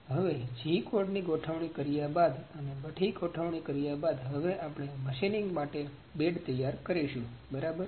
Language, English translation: Gujarati, Now, after setting the g code and making all these settings we are here to prepare the bed to prepare the bed for machining, ok